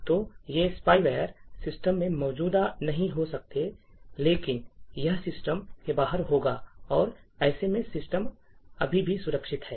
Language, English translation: Hindi, So, these spyware may not be present in the system, but it will be outside the system, and in such a case the system is still secure